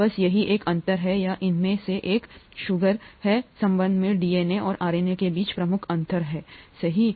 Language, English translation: Hindi, That’s the only difference between or that’s one of the major differences between DNA and RNA in terms of the sugar here, right